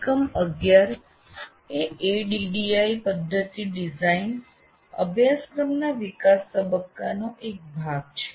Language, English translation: Gujarati, This unit 11 is a part of the development phase of ADDY system design of a course